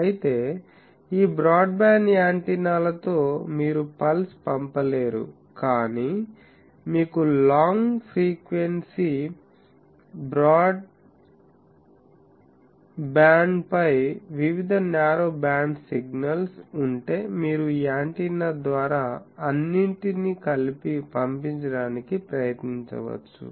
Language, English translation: Telugu, Whereas, these broadband antennas you could not send a pulse, but if you have various narrow band signals over a long frequency band you can try to send all of them together through these antenna